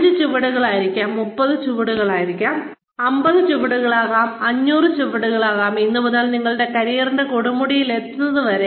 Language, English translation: Malayalam, Could be five steps, could be 50 steps, and could be 500 steps, from today, until you reach, the peak of your career